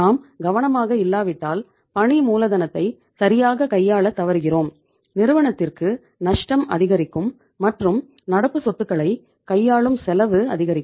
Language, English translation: Tamil, If you are not that much careful you are not managing your working capital efficiently and you are going to increase the losses of the firm because the cost to manage the current assets is going to increase